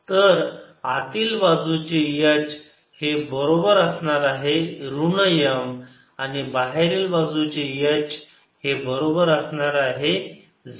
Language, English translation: Marathi, so h inside will be equal to minus m and h outside will be equal to zero